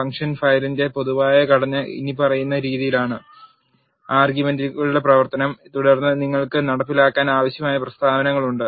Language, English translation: Malayalam, The general structure of the function file is as follows f is equal to function of arguments and then you have statements that are needed to be executed